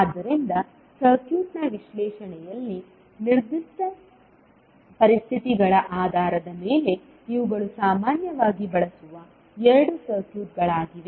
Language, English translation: Kannada, So, these are the two commonly used circuits based on the specific conditions in the analysis of circuit